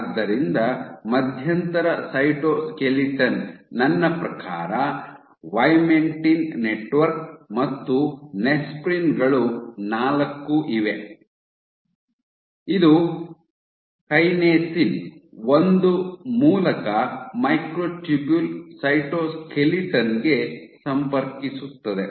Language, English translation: Kannada, So, by intermediate cytoskeleton I mean vimentin network, and you have nesprins 4 which connects to the microtubule cytoskeleton via kinasin 1